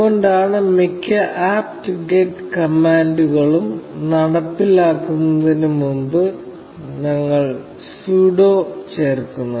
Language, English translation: Malayalam, This is why we add sudo before executing most apt get commands